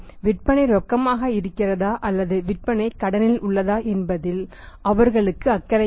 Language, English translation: Tamil, They are little concerned whether the sales are on cash or the sales are on credit